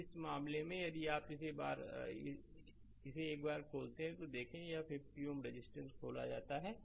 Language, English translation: Hindi, So, in this case if you do this look as soon as you open this one, this 50 ohm resistance is opened